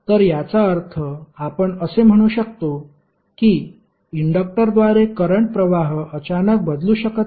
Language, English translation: Marathi, So it means that you can say that current through an inductor cannot change abruptly